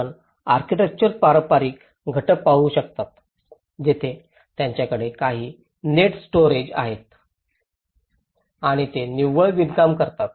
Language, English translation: Marathi, You can see the traditional elements of the architecture where they have some certain storages of net and they perform the net weaving practices